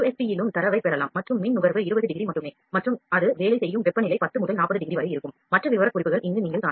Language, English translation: Tamil, We can get the data in USB as well and power consumption is only 20 degree and the temperature at which it works is 10 to 40 degrees, the other specifications you can see this